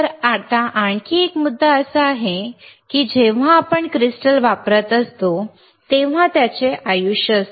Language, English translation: Marathi, So, now another point is that, when we are using crystal it has a, it has a lifetime